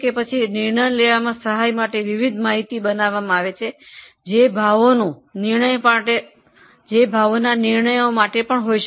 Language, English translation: Gujarati, Then a variety of information is generated to help in decision making